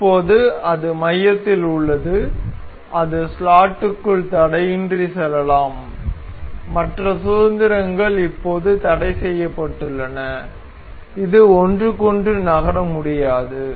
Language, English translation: Tamil, So, now, it remains in the center and it is free to move within the slot and it the other degrees of freedom have now been constrained and it this cannot move to each other